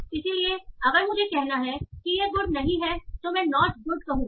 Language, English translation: Hindi, So if I have to say it is not good I will say not good